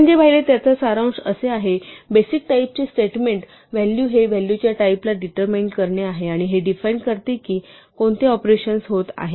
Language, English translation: Marathi, To summarise what we have seen is that the basic type of statement is to assign a name to a value values have type and these determine what operations are allowed